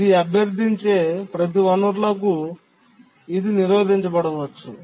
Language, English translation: Telugu, So, for each of the resources it requests, it may undergo blocking